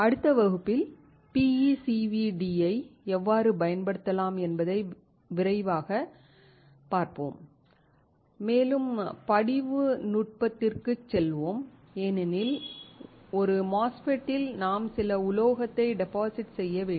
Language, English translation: Tamil, In the next class we will see how PECVD can be used quickly and will move on to the deposition technique because in a MOSFET, you have to deposit some metal